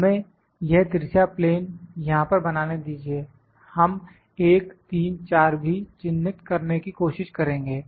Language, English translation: Hindi, Let us made this slant plane this slant plane here this slant plane here also will try to 1, 3 4